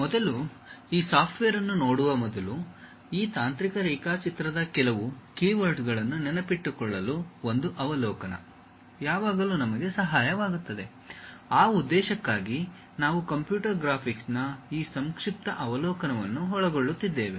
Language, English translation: Kannada, Before, really looking at these softwares, a overview always help us to remember certain keywords of this technical drawing; for that purpose we are covering this brief overview on computer graphics ok